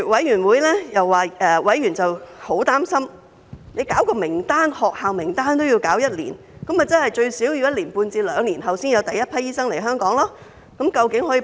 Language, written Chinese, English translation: Cantonese, 然後，委員十分擔心，因為政府擬備學校名單也得花上一年，換言之，最少一年半至兩年後才有第一批醫生來到香港。, When it takes as long as a year for the Government to prepare a list of medical schools members are deeply worried that it will take at least one and a half years or two years for the first batch of overseas doctors to arrive at Hong Kong